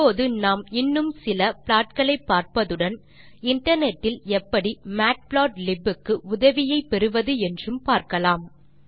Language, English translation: Tamil, Now we will see few more plots and also see how to access help of matplotlib over the Internet